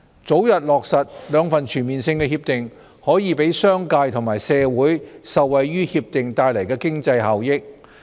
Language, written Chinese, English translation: Cantonese, 早日落實兩份全面性協定，可讓商界和社會受惠於協定帶來的經濟效益。, Early implementation of those two comprehensive agreements would enable the business sector and society to benefit from the economic benefits to be brought about by the agreements